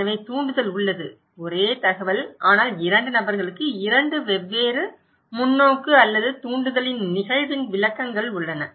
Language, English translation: Tamil, So, the stimulus is there, the same but two people have two different perspective or interpretations of the event of the stimulus